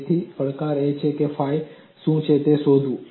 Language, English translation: Gujarati, So, the challenge is in finding out what is phi